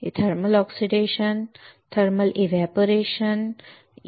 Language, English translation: Marathi, One thermal oxidation, 2 thermal evaporation, right